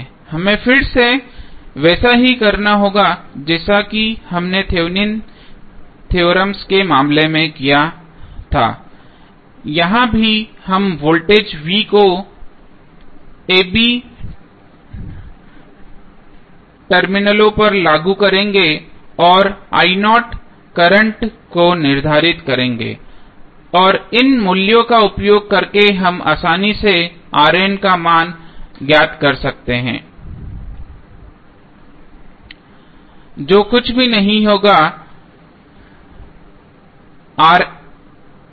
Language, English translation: Hindi, We have to again as we did in case of Thevenin's theorem here also we will apply voltage v naught at the terminals of a, b and determine the current i naught and using these value we can easily find out the value of R N which is nothing but equal to R Th